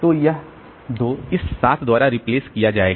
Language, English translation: Hindi, So, 1 will be replaced by this 3